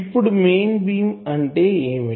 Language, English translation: Telugu, Now what is mean beam